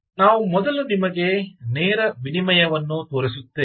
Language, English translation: Kannada, so we will first show you the direct exchange